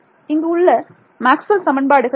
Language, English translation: Tamil, Nothing special about Maxwell’s equations right